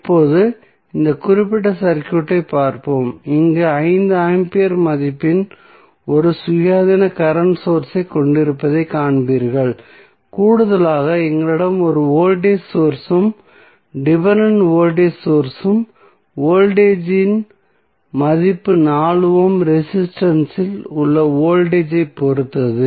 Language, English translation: Tamil, Now, let us see this particular circuit where you will see we have one independent current source of 5 ampere value additionally we have one voltage source which is dependent voltage source and the value of voltage is depending upon the voltage across 4 ohm resistance